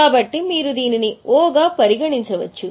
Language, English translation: Telugu, So, you can write it as a O